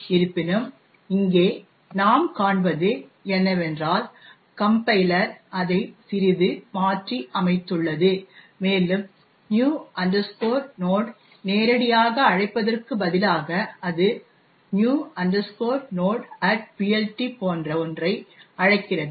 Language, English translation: Tamil, However, what we see over here is that the compiler has actually modified its slightly and instead of calling, calling new node directly it calls something like new node at PLT